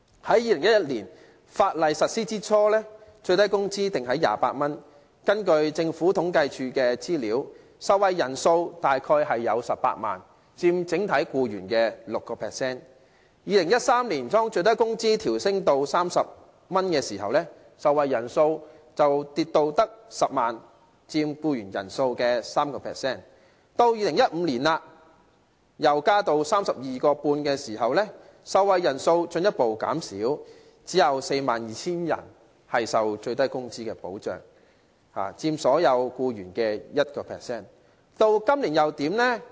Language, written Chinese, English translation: Cantonese, 在2011年法例實施初期，最低工資訂為每小時28元，根據政府統計處的資料，受惠人數大約有18萬人，佔整體僱員的 6%； 在2013年，當最低工資調升至30元時，受惠人數卻跌至10萬人，佔僱員人數的 3%； 到了2015年增至 32.5 元時，受惠人數進一步減少，只有 42,000 人受最低工資的保障，佔所有僱員人數的 1%。, At the beginning of its implementation in 2011 the minimum wage was 28 per hour . According to the data of the Census and Statistics Department around 180 000 people benefited from the minimum wage accounting for 6 % of the total number of employees; in 2013 when the minimum wage increased to 30 the number of beneficiaries dropped to 100 000 accounting for 3 % of the total number of employees; and in 2015 when the minimum wage increased to 32.5 the number of beneficiaries dropped further to 42 000 accounting for only 1 % of the total number of employees